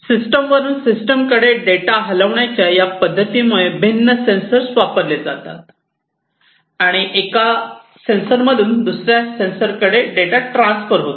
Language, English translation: Marathi, Because of this expression of data moving to systems from systems would be using these different sensors and the data will be moving from one sensor to another